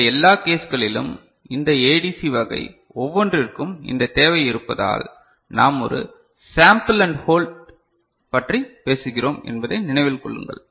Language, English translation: Tamil, Remember that in all these cases because of this requirement for each of these ADC type we are talking about a sample and hold